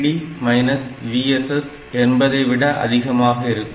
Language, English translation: Tamil, And anything which is more than 0